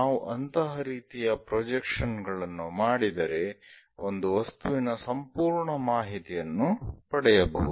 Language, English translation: Kannada, If we do such kind of projections, the complete information about the object we are going to get